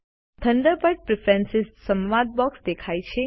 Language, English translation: Gujarati, The Thunderbird Preferences dialog box appears